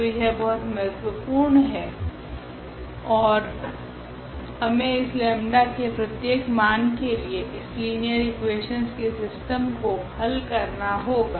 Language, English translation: Hindi, So, it is very important now and here for each value of this lambda we need to solve the system of equations